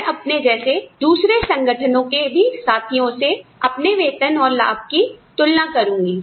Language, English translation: Hindi, I will also compare my salary and benefits, with my peers, in another similar organization